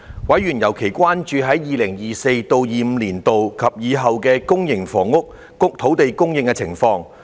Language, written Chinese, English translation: Cantonese, 委員尤其關注 2024-2025 年度及以後的公營房屋土地供應情況。, Members were especially concerned about the land supply for public housing in 2024 - 2025 and beyond